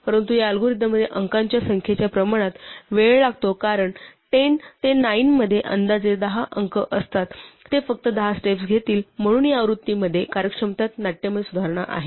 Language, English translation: Marathi, But this algorithm because of the claim it takes time proportional to number of digits since 10 to the 9 has approximately 10 digits it will only take about 10 steps, so there is a dramatic improvement in efficiency in this version